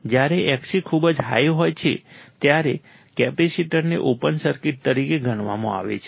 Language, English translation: Gujarati, When Xc is very high, capacitor is considered as an open circuit